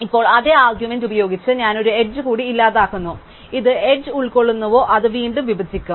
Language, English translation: Malayalam, Now, I delete one more edge by the same argument whichever component that edge belongs will split again